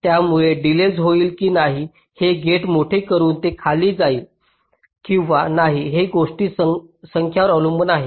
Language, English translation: Marathi, so by making a gate larger, whether or not the delay will go up or go down, it depends on number of things